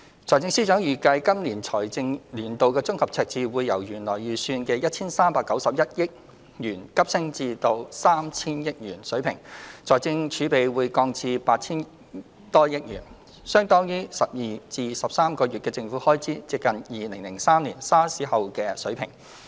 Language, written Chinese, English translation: Cantonese, 財政司司長預計，今個財政年度的綜合赤字會由原來預算的 1,391 億元急升至 3,000 億元水平，財政儲備則降至 8,000 多億元，相當於12至13個月的政府開支，接近2003年 SARS 後的水平。, The Financial Secretary anticipated that the consolidated deficit for the current financial year will surge from the original estimate of 139.1 billion to about 300 billion whereas fiscal reserves will drop to around 800 billion equivalent to 12 to 13 months of government expenditure and close to the level after the SARS epidemic in 2003